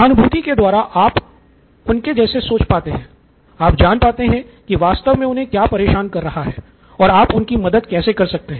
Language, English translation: Hindi, Empathise, you get into their shoes, you get into what is really bothering them and how we can help them